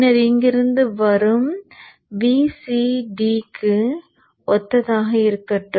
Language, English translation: Tamil, Then let the VC that is coming from here correspond to D hat